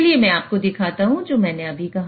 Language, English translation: Hindi, So let me show you what I just said